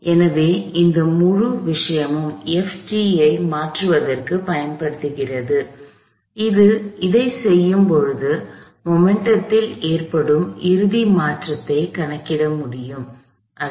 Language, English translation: Tamil, So, that whole thing is use to replace this F of t and when we do that, we are able to calculate the final changing the momentum m times v f minus v i